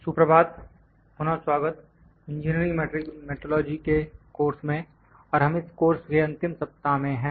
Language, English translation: Hindi, Good morning, welcome back to the course on Engineering Metrology and we are in the last week of this course